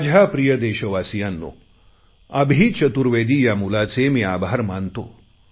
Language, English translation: Marathi, Friends, I want to thank this boy Abhi Chaturvedi